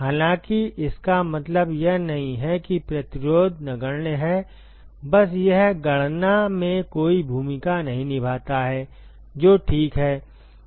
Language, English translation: Hindi, Although, it does not mean that there is resistance is negligible just that it does not play any role in the calculations that is all ok